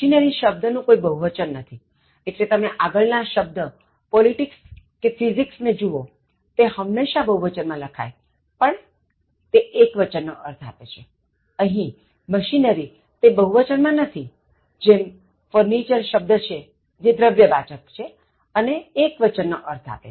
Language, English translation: Gujarati, The word machinery does not have a plural form so, when you look at previous one like politics, Physics they are always plural in form, but take a singular one, here machinery is not in plural form, just like furniture it is uncountable and takes a singular verb